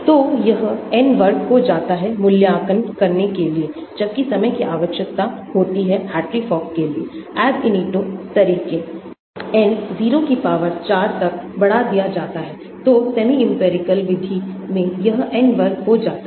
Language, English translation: Hindi, So, it becomes N square to evaluate, whereas time required for Hartree Fock, Ab initio methods is N raised to the power 4, so in semi empirical method it becomes N square